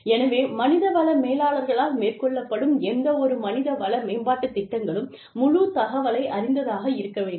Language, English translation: Tamil, So, any human resource development programs, that are taken up by the HR managers, should be informative